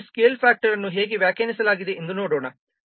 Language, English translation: Kannada, Now let's see how this scale factor is refined